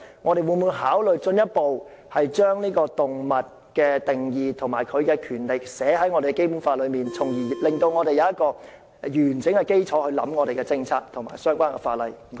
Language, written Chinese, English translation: Cantonese, 我們會否考慮進一步將動物的定義及權利列入《基本法》，從而令我們有完整的基礎來考慮我們的政策和相關法例。, Will it consider taking a further step of including the definitions of animals and animal rights in the Basic Law so that we will have a comprehensive basis to formulate our policies and the relevant laws?